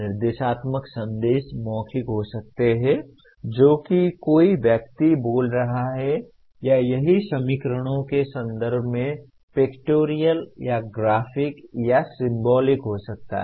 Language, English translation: Hindi, The instructional messages can be verbal that is somebody speaking or it can be pictorial or graphic or symbolic in terms of equations